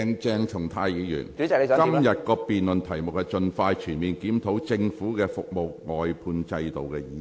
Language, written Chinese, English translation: Cantonese, 鄭松泰議員，今天辯論的議題是"盡快全面檢討政府的服務外判制度"。, Dr CHENG Chung - tai the question under debate today is Expeditiously conducting a comprehensive review of the Governments service outsourcing system